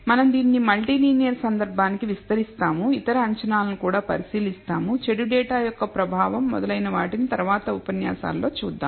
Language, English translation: Telugu, We will be extending it to the multi linear case and we will also look at other assumptions, the influence of bad data and so on in the following lecture